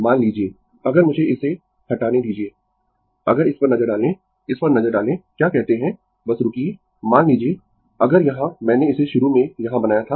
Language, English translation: Hindi, Suppose, if you have let me delete, if you have look at this look at this your what you call just hold on, suppose if you have here I have made it initially here